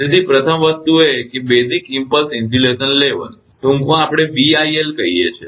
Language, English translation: Gujarati, So, first thing is that basic impulse insulation level in short we call BIL